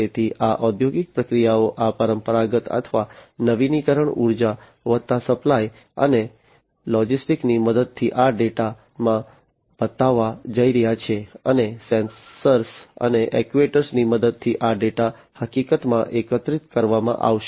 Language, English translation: Gujarati, So, these industrial processes with the help of these traditional or renewable forms of energy plus supply and logistics these are all going to show in this data, and with the help of the sensors and actuators, this data are going to be in fact collected